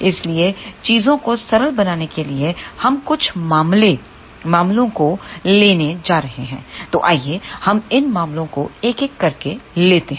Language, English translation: Hindi, So, to make things simple we are going to take a few cases so, let us take these cases one by one